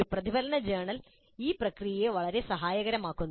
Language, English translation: Malayalam, And a reflective journal helps in this process greatly